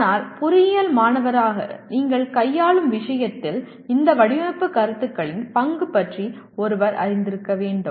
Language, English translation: Tamil, But as a student of engineering one should be aware of the role of these design concepts in the subject that you are dealing with